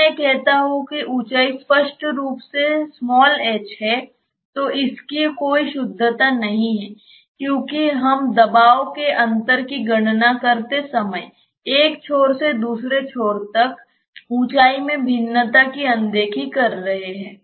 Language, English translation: Hindi, When I say that this height is h obviously, it has no sanctity because we are disregarding the variation in height from one end to the other when we calculate the pressure difference